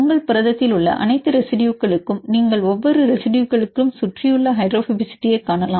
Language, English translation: Tamil, For all the residues in your protein you can see the surrounding hydrophobicity of each residue